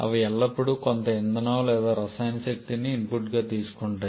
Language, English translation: Telugu, They always take some thermal fuel or chemical energy as the input